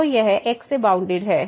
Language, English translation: Hindi, So, this is bounded by 1